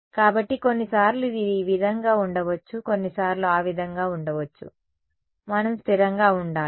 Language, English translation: Telugu, So, sometimes it may be this way sometimes it may be that way we just have to be consistent